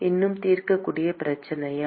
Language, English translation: Tamil, Is it still a solvable problem